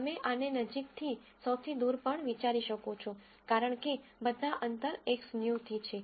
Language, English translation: Gujarati, You can also think of this as closest to the farthest, because the distances are all from X new